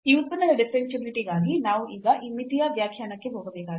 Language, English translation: Kannada, So, for the differentiability of this function we need to now go to this limit definition